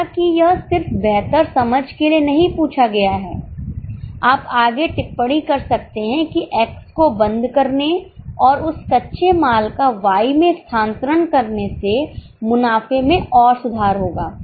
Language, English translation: Hindi, Though it is not asked just for better understanding, you may further comment that closure of X and transferring that raw material to Y will further improve the profitability